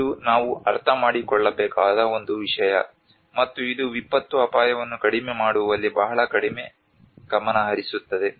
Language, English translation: Kannada, This is one thing which we have to understand, and this is a very little focus in on disaster risk reduction